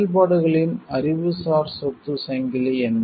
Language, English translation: Tamil, What is the intellectual property chain of activities